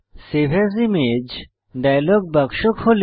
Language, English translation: Bengali, Save as image dialog box opens